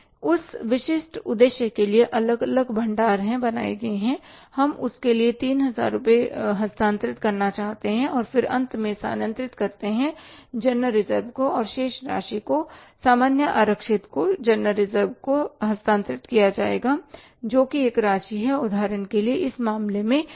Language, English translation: Hindi, We want to transfer 3,000 rupees for that and then finally is to transfer to general reserve and remaining amount will be transferred to the general reserve that amount is say for example in this case is 5,000 rupees